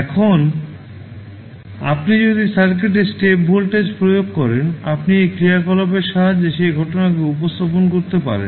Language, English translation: Bengali, Now, if you apply step voltage to the circuit; you can represent that phenomena with the help of this function